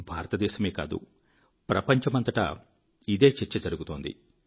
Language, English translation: Telugu, Not just in India, it is a part of the discourse in the whole world